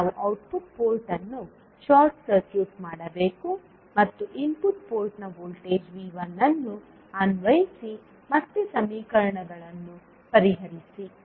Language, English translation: Kannada, We have to short circuit the output port and apply a voltage V 1 in the input port and solve the equations